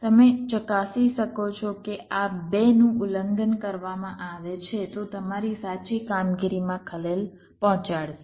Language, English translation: Gujarati, you can check if this two are violated, your correct operation will be disturbed